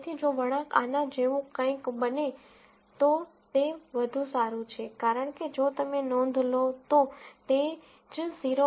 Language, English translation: Gujarati, So, if the curve becomes something like this, it is better, because at the same 0